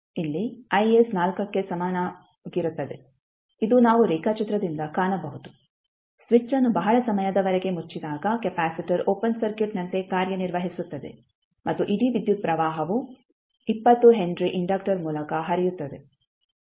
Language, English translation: Kannada, so here I s is equal to 4 this is what we can see from the figure when the circuit is the switch is closed for very long period the capacitor will be acting as a open circuit and the whole current will flow through 20 henry inductor